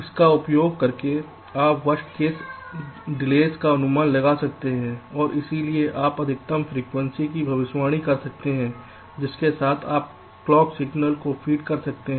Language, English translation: Hindi, using this you can estimate the worst is delays, and hence you can predict the maximum frequency with which you can feed the clock clock signal